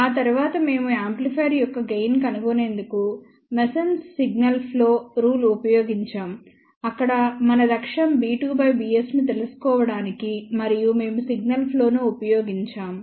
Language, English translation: Telugu, After that, we use masons signal flow rule to find out the gain of the amplifier, where the objective was to find b 2 divided by b s and we had used this signal flow